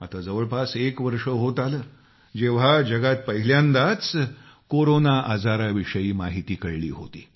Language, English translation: Marathi, It has been roughly one year since the world came to know of the first case of Corona